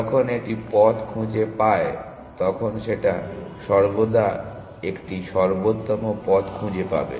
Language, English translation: Bengali, That when it finds the path it will always finds an optimal path